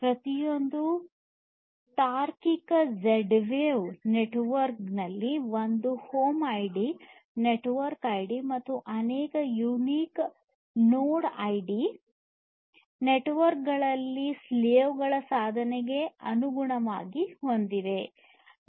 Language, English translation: Kannada, Each logical Z wave network has one home ID, the network ID, and multiple unique node IDs corresponding to the slave devices in the network